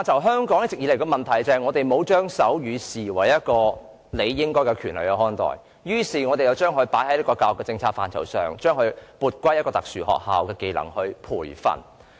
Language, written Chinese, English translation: Cantonese, 香港一直以來的問題是沒有把學習手語視為應得的權利，因此政府將手語學習納入教育政策範疇，撥歸特殊學校作為一種技能進行培訓。, A long - standing problem in Hong Kong is that sign language learning is not perceived as a legitimate right . As a result the Government puts sign language learning under its education policy and entrusts special schools to offer training on sign language as a skill